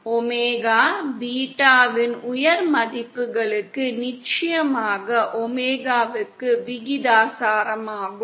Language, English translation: Tamil, Of course for high values of omega beta is again proportional to omega